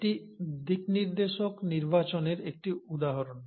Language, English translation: Bengali, Now this is an example of directional selection